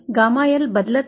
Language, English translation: Marathi, Gamma L does not change